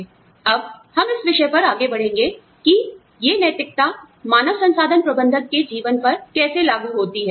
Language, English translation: Hindi, Now, we will move on to the topic of, how these ethics are applicable, to the life of a human resource manager